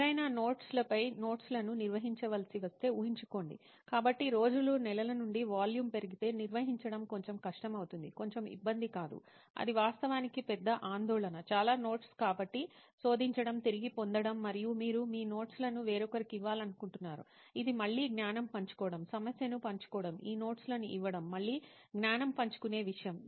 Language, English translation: Telugu, And imagine if somebody has to maintain notes over notes, so throughout the day is like from the months the volume will increase, the management, the overall managing the notes it becomes a bit of a difficulty, is not a bit of a difficulty, it is actually major concern, too many notes so searching, retrieval and you want to give your notes to someone else it is again knowledge sharing the problem would giving these notes is again a knowledge sharing thing